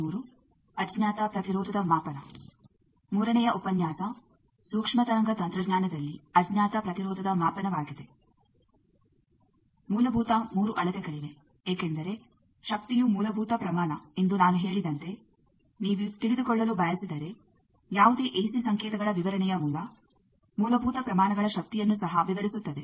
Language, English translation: Kannada, The fundamental 3 measurements are there, because if you want to know as I said that power is a fundamental quantity, also any ac signal description the basic fundamental quantities power